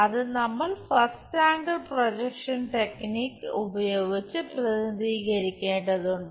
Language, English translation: Malayalam, That we have to represent by first angle projection technique